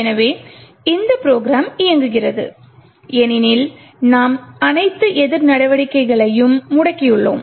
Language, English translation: Tamil, So, this particular program is running because we have disabled all the countermeasures